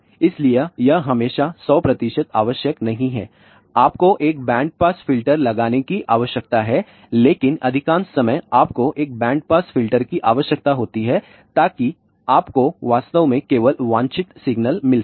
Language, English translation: Hindi, So, that is why it is not always hundred percent required you need to put a band pass filter, but most of the time you do require a band pass filter